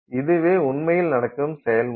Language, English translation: Tamil, So, that is how this process is happening